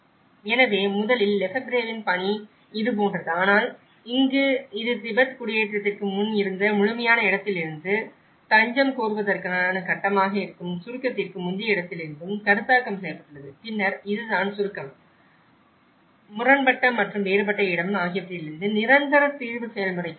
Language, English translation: Tamil, So, originally the Lefebvreís work is like this but in here it has been conceptualized from the absolute space which the Tibet before migration and the pre abstract space which is an asylum seeker stage and then this is where the permanent settlement process from the abstract and the conflicted and a differential space